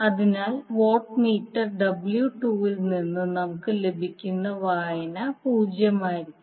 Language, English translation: Malayalam, So therefore the reading which we get from watt meter W 2 will be 0